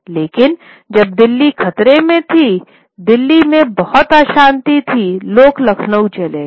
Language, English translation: Hindi, But when Delhi was under threat, there was a lot of unrest in Delhi, people moved to Lucknow